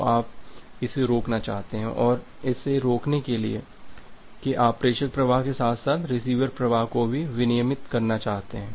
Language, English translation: Hindi, So, you want to prevent that and to prevent that you want to regulate the sender flow as well apart from the receiver flow